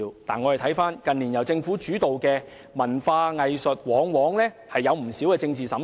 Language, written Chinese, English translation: Cantonese, 不過，我們看到近年由政府主導的文化藝術活動往往出現不少政治審查。, Nevertheless we can notice the frequent presence of political screening in Government - led cultural and arts activities in recent years